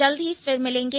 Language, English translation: Hindi, See you soon